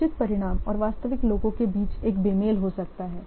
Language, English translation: Hindi, There may be a mismatch between the planned outcome and the actual ones